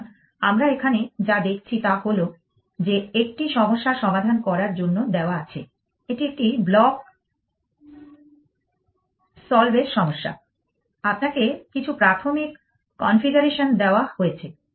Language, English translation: Bengali, So, what we have seen here is that given a problem to solve what is the problem it is a block solve problem, you are given some initial configuration